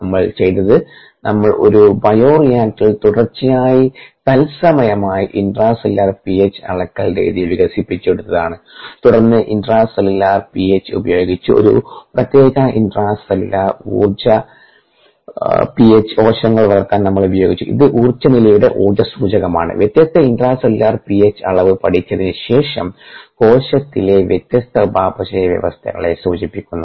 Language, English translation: Malayalam, so what we did was we developed this method of intracellular p h measurement online, continuously in the bioreactor, and then we use intracellular p h to grow cells at a particular intracellular p h, which is indicator of energy status, after studying that different intracellular p h levels indicate different metabolic conditions in the cell